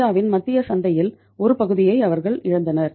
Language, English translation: Tamil, They lost the part of the central market of India